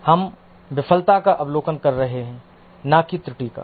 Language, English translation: Hindi, We are observing the failure, not the error